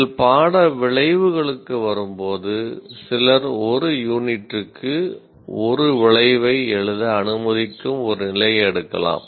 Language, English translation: Tamil, Now when you come to course outcomes, some people may take a position, let us write one outcome for one unit